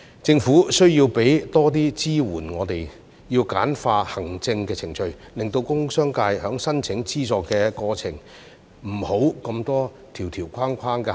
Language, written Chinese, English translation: Cantonese, 政府需要為我們提供更多支援，要簡化行政程序，令工商界在申請資助的過程中，不會有這麼多條條框框的限制。, The Government needs to provide us with more support and streamline the administrative procedures so that the industrial and business sectors will not be subject to so many rules and regulations in the course of applying for subsidies